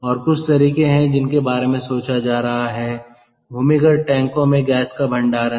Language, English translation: Hindi, ok, so these are some of the methods that are being thought of compressed gas storage in underground tanks